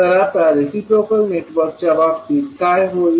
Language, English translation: Marathi, Now, what will happen in case of reciprocal network